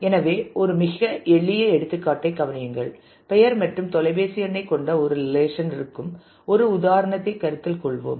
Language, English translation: Tamil, So, consider a very simple example, let us consider an example where there is a relation faculty which has name and phone number and additionally